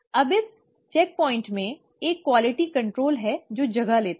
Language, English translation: Hindi, Now in this checkpoint, there is a quality control which takes place